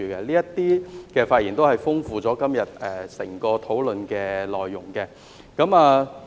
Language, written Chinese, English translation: Cantonese, 這些發言都豐富了今天整個討論的內容。, These speeches have enriched the overall discussion today